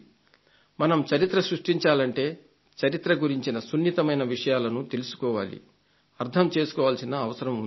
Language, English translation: Telugu, If you want to create history, then it is necessary to understand the nuances of the past